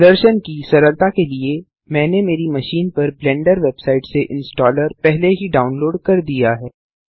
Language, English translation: Hindi, For ease of demonstration, I have already downloaded the installer from the Blender website onto my machine